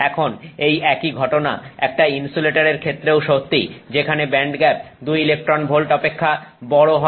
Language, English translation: Bengali, Now the same thing is true with an insulator where the band gap is greater than greater than two electron volts